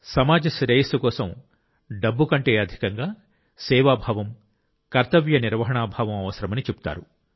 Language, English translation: Telugu, It is said that for the welfare of the society, spirit of service and duty are required more than money